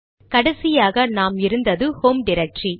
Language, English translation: Tamil, It will go to the home directory